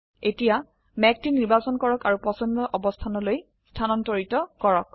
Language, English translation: Assamese, Now select the cloud and move it to the desired location